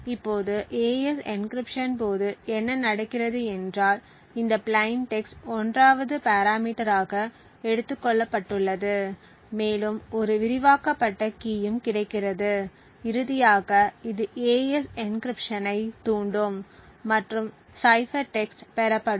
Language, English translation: Tamil, Now what happens during the AES encryption is there is this plain text which is taken as the 1st parameter and there is an expanded key which is also available and finally this would trigger the AES encryption to occur and the cipher text is obtained